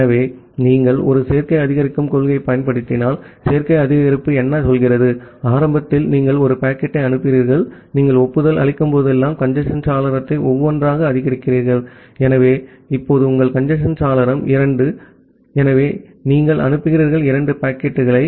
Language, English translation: Tamil, So, if you in apply a additive increase principle, what additive increase says, that initially you send one packet, whenever you are making an acknowledgement, then you increase the congestion window by one, so now your congestion window is two, so you send two packets